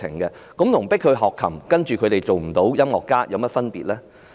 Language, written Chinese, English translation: Cantonese, 這跟迫學生學琴，但他們未能成為音樂家有甚麼分別呢？, The situation is like drilling students in playing the piano without nurturing them into musicians isnt it?